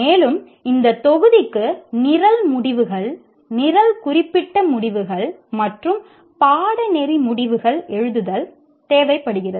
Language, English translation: Tamil, And this module requires a writing of program outcomes, program specific outcomes, and course outcomes